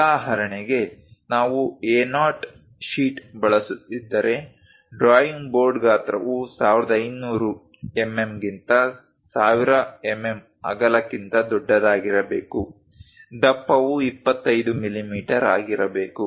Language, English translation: Kannada, For example, if we are using A0 sheet, then the drawing board size supposed to be larger than that 1500 mm by 1000 mm width, thickness supposed to be 25 millimeters